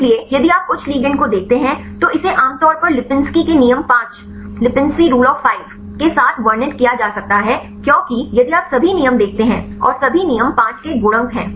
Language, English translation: Hindi, So, if you see higher ligand generally it can be described with Lipinsi’s rule of 5 right because if you see all the rules and the all the rules are the multiples of 5